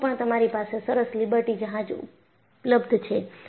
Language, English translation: Gujarati, You still have a nice Liberty ship available